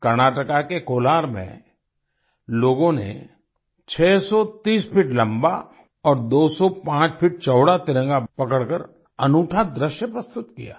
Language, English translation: Hindi, In Kolar, Karnataka, people presented a unique sight by holding the tricolor that was 630 feet long and 205 feet wide